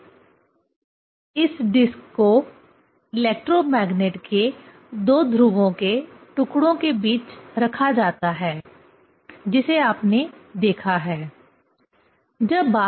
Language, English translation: Hindi, Now this disc it is put between two pole pieces of electromagnet that is what you have seen